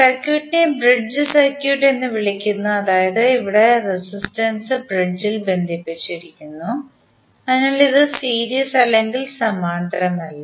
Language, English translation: Malayalam, Say in this particular circuit if you see the circuit is called a bridge circuit where the resistances are connected in bridge hence this is not either series or parallel